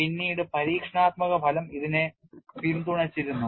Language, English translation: Malayalam, Later on it was supported by experimental result